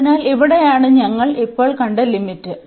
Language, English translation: Malayalam, So, here this was the limit we have just seen